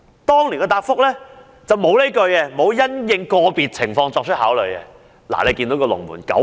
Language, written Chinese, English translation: Cantonese, 當年政府的答覆沒有"因應個別情況作出考慮"這一句。, The expression take into account the individual circumstances of each application was not found in the Government reply back then